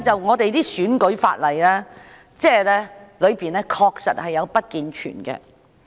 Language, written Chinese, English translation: Cantonese, 我們的選舉法例確實有不健全之處。, There are indeed flaws in our electoral legislation